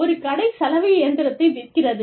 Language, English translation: Tamil, A shop sells the washing machine